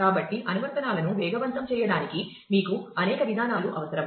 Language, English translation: Telugu, So, you need several approaches to speed up applications